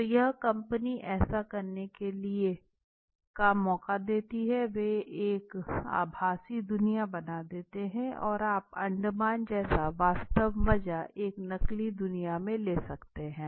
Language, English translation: Hindi, So to do that they give an opportunity that they will make a the virtual world has been created you can go to Andaman exactly there could be a simulated world and you can go and enjoy